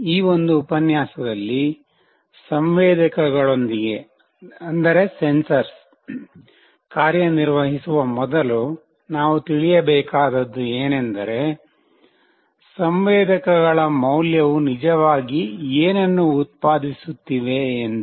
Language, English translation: Kannada, In this lecture prior going towards working with sensors, we must know that what my sensor value is actually generating